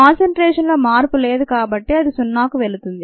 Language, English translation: Telugu, since there is no change in concentration, that goes to be, that goes to zero